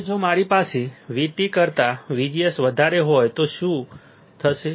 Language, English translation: Gujarati, Now, if I have VGS greater than V T, then what will happen